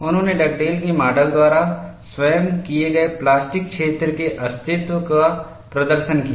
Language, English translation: Hindi, They demonstrated the existence of plastic zone as postulated by Dugdale’s model